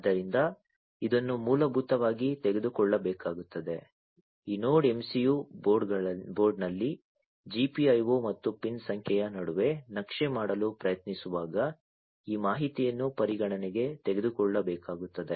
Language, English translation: Kannada, So, this basically will have to be taken this information will have to be taken into consideration while trying to map between the GPIO and the pin numbering in this Node MCU board